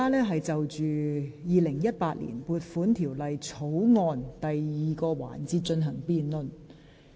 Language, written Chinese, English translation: Cantonese, 本會現在是就《2018年撥款條例草案》進行第二個環節的辯論。, This Council is conducting the second debate session of the Appropriation Bill 2018